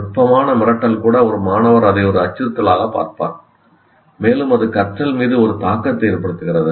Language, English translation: Tamil, Even subtle intimidation, a student feels he will look at it as a threat and that has effect on the learning that takes place